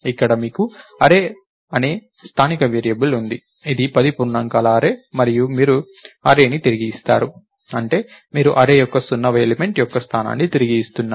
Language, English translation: Telugu, So, here you have a local variable called array, which is an array of 10 integers and you return array which means, you are returning the location of the 0th element of array